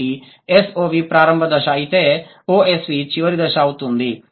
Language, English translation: Telugu, So, when SOV becomes OSV, what is happening